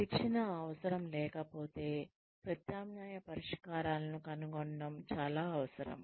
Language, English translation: Telugu, If there is no training need, then one needs to find alternative solutions